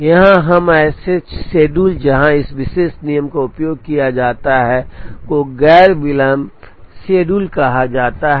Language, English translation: Hindi, Here, now schedules where this particular rule is used are called non delay schedules